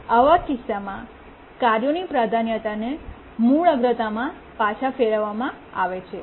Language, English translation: Gujarati, So the task's priority in that case is reverted back to the original priority